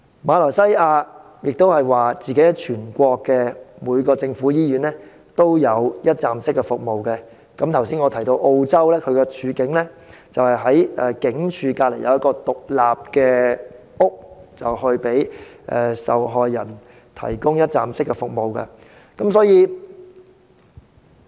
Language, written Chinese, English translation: Cantonese, 馬來西亞亦聲稱全國每間政府醫院均提供一站式服務，而我剛才提及的澳洲則在警署旁設置一所獨立屋，向受害人提供一站式服務。, Malaysia also claims that one - stop services are provided at every government hospital in the country . In the case of Australia I talked about just now an independent house is set up adjacent to police stations to offer one - stop services to victims